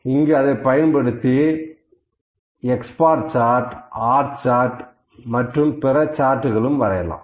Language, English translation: Tamil, So, we generally draw we will draw it actually in x bar and R charts, this is the R charts only we will draw we will see